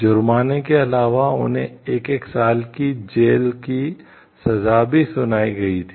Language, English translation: Hindi, In addition to fines they were also each sentenced to one year in jail however